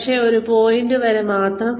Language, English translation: Malayalam, But, only up to a point